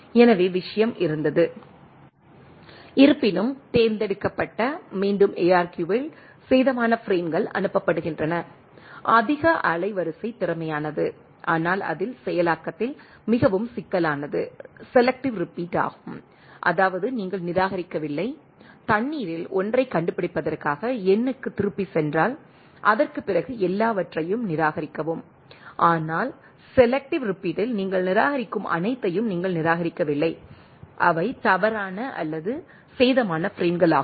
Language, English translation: Tamil, So, was the thing right; however, in selective repeat ARQ only damage frames are resent; more bandwidth efficient, but more complex at the processing in the it means selective repeat; that means, you are not discarding, in case of go back N in for finding 1 out of water, discard everything after that, but in selective repeat you are not discarding all you are only discarding, which are erroneous or damage frames and type of things right you are you